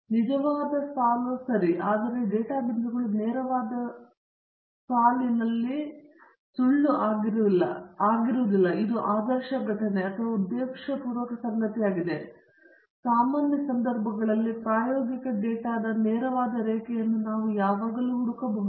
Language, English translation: Kannada, This is a true line okay, but the data points do not lie on the straight line that would have been an ideal occurrence or a intentional occurrence, but under usual circumstances, we can always find scatter of the experimental data around the straight line